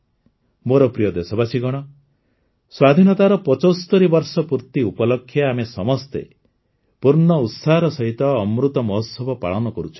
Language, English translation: Odia, My dear countrymen, on the occasion of completion of 75 years of independence, all of us are celebrating 'Amrit Mahotsav' with full enthusiasm